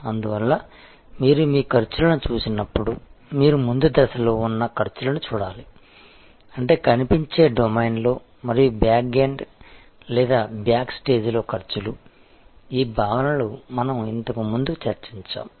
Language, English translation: Telugu, And therefore, when you look at your costs, you should look at costs, which are on the front stage; that means, in the visible domain and costs at the backend or backstage, these concepts we have discussed earlier